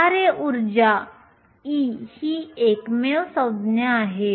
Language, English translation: Marathi, The only terms that is function energy is e